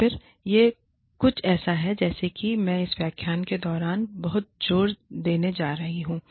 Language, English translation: Hindi, So, then again, this is something, that i am going to stress on, a lot during this lecture